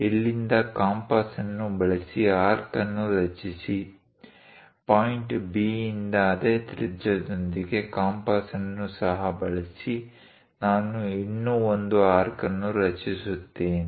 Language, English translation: Kannada, Use compass from here, construct an arc; with the same radius from point B, also using compass, I will construct one more arc